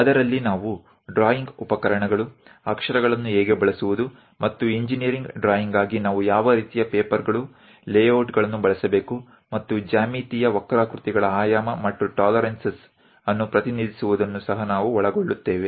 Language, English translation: Kannada, In that we know about drawing instruments how to use lettering, and what kind of papers, layouts we have to use for engineering drawing, and representing geometrical curves dimensioning and tolerances we will cover